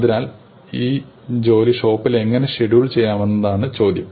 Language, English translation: Malayalam, So, now the question for the shop is how best to schedule these jobs